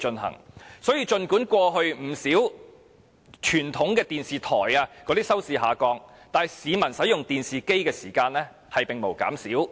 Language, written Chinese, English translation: Cantonese, 因此，儘管不少傳統電視台的收視率不斷下降，但市民使用電視機的時間並沒有減少。, So despite the declining audience ratings of many traditional TV stations the time people spent on TV has not decreased